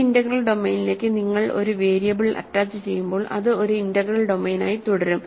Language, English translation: Malayalam, When you attach a variable to an integral domain it remains an integral domain